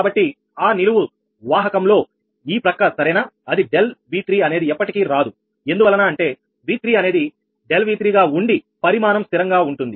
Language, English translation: Telugu, so in that column vector, this side right, that delta v three will never come because v three as delta v three is fixed magnitude